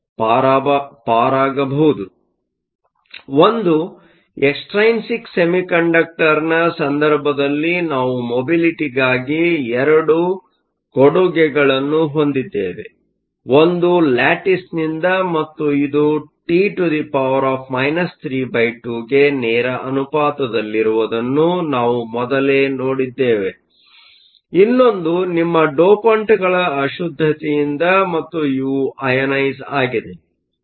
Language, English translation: Kannada, So, in the case of an extrinsic semiconductor, we have two contributions to the mobility one is from the lattice, and we saw earlier that this is proportional to T to the minus three half; the other is from the impurity for your dopants and these are ionized